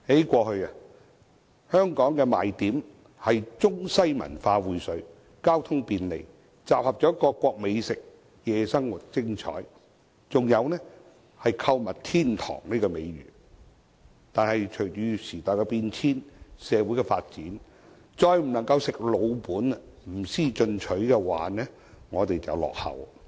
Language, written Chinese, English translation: Cantonese, 過去，香港的賣點是中西文化薈萃、交通便利、各國美食雲集、夜生活精彩，還有購物天堂的美譽；但隨着時代變遷，社會發展，我們不能再"吃老本"，不思進取，否則便會落後。, Hong Kong used to promote convergence of Chinese and Western cultures convenience in transport availability of cuisines from all around the world interesting night life and the reputation as a shoppers paradise as its selling points . However as time changes with social development we can no longer just rest on our laurels; otherwise we shall fall behind